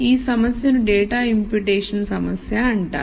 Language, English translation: Telugu, So this problem is called the data imputation problem